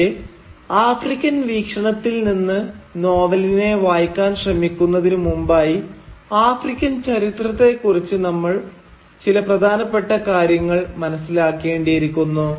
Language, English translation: Malayalam, But before trying to read the novel from this African perspective, we first need to better acquaint ourselves with some major points in African history